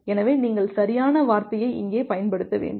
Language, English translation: Tamil, So, you should use the correct term here